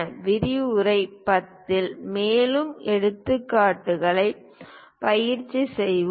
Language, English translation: Tamil, In lecture 10, we will practice more examples